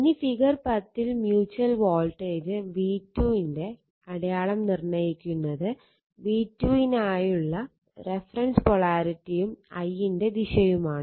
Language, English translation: Malayalam, Now, in figure 10 the sign of the mutual voltage v 2 is determined by the reference polarity for v 2 and direction of i1 right